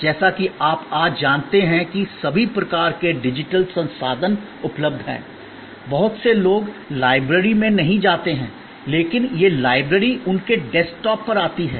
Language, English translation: Hindi, As you know today with all kinds of digital resources being available, many people do not go to the library, but that the library comes to their desktop